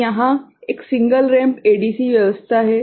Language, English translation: Hindi, So, here is a single ramp ADC arrangement